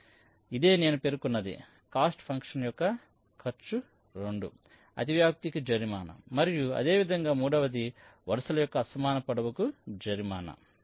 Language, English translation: Telugu, ok, so this is what i mentioned: the cost function cost two penalizes the overlapping and similarly, cost three penalizes the unequal lengths of the rows